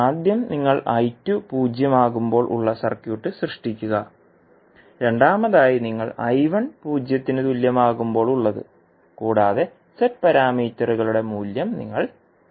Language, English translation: Malayalam, First is you create the circuit when you put I2 is equal to 0, in second you put I1 equal to 0 and you will find out the value of Z parameters